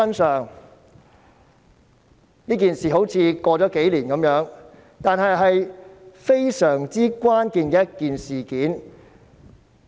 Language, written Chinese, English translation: Cantonese, 雖然這件事已過了數年，但非常關鍵，影響深遠。, Although this incident took place a few years ago it is very critical and its impacts are far - reaching